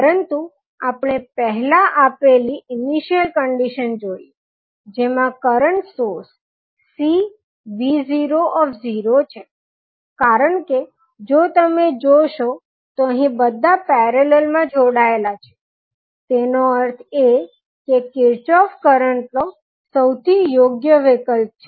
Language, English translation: Gujarati, But we have to first see that initial condition which is given will have the current source C v naught because if you see these all are connected in parallel it means that Kirchhoff’s current law would be most suitable option